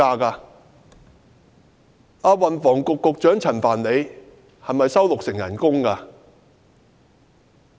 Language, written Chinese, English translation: Cantonese, 運輸及房屋局局長陳帆是否只收取六成薪金？, Would the Secretary for Transport and Housing receive only 60 % of his salary?